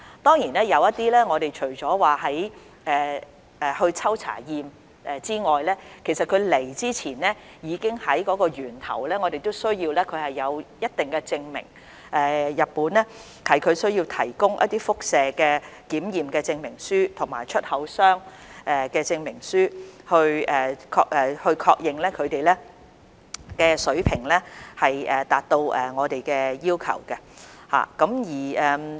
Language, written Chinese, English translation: Cantonese, 當然，我們除了抽查及檢驗食品外，其實有些食品在進入香港前，我們還需要日本提供一定的證明，例如輻射檢測證明書及出口商證明書，以確認食品水平達到我們的要求。, Of course apart from conducting sample tests on food products we also require the provision of certain certificates for example radiation certificate and exporter certificate for the import of certain food products into Hong Kong so as to confirm that the food safety level is meeting our standard